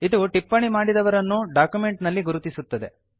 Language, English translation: Kannada, Thus the person making the comment is identified in the document